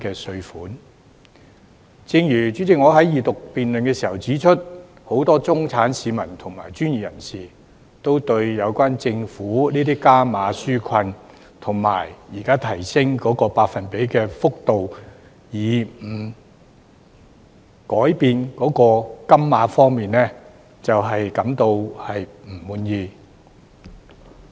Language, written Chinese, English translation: Cantonese, 主席，正如我在二讀辯論時指出，很多中產市民和專業人士，均對於政府的加碼紓困措施現時只提升百分比幅度，卻沒有改變金額，感到不滿意。, Chairman as I pointed out in the Second Reading debate many middle - class citizens and professionals are dissatisfied that the Government has only increased the percentage while retaining the ceiling in the enhanced relief measure